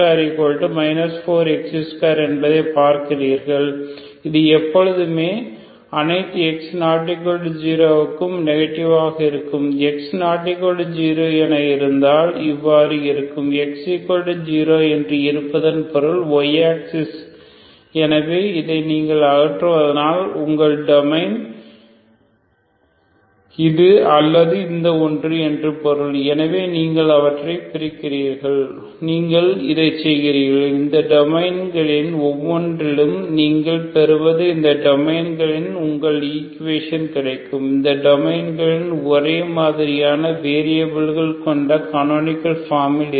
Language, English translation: Tamil, So here again routinely A is 1, B is 0, C is X square so you see that B square minus 4 A C is B 0 minus 4 X square this is always negative ok for every X positive X non zero for every X non zero when X is non zero so the domain is, when X equal to zero means Y axis so this you remove so that means your domain is either this or this one, so you separate them and you work with this, these each of this domains what you get is your equation in these domains ok canonical form in these domains with the same variables